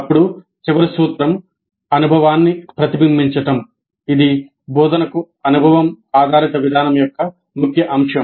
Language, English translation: Telugu, Then the last principle is reflecting on the experience, a key, key element of experience based approach to instruction